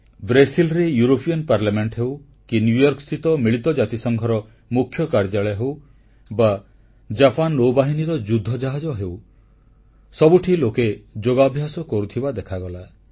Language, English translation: Odia, In the European Parliament in Brussels, at the UN headquarters in New York, on Japanese naval warships, there were sights of people performing yoga